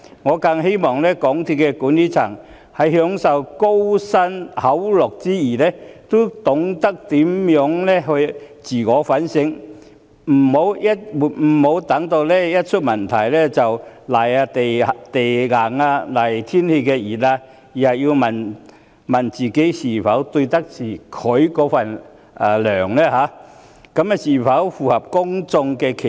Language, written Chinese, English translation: Cantonese, 我更希望港鐵公司的管理層在享受高薪厚祿之餘，要懂得自我反省，不要待問題出現後才"賴地硬"、"賴天時熱"，而是要問自己是否愧對薪酬、是否符合公眾期望。, I even hope that the MTRCL management can do some self - reflection while enjoying their substantial remunerations . Instead of putting up various excuses after problems occur they should ask themselves whether they can face up to their remunerations without qualm and whether they can live up to public expectation